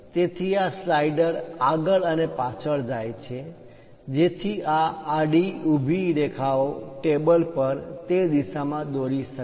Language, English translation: Gujarati, So, these slider goes front and back, so that this horizontal, vertical lines can be drawn in that direction on the table